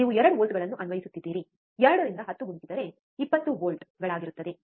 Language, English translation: Kannada, You are applying 2 volts, 2 into 10 will be 20 volts